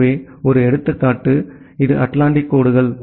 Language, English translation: Tamil, So, one example is this the transatlantic lines